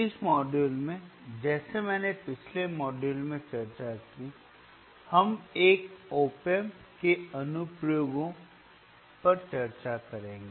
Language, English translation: Hindi, iIn this module, like I discussed in the last module, we will be discussing the application of oan op amp